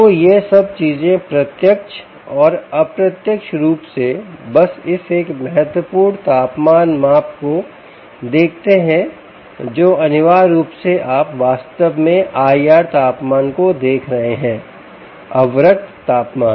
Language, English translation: Hindi, ok, so all these things it directly and indirectly, are just looking at this one important measurement of temperature which essentially is you are actually looking at the i r temperature, infrared temperature